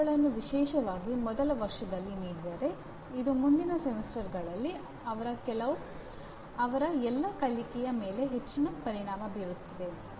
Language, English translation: Kannada, If they are given early especially in the first year, it will have a great impact on all their learning in the following semesters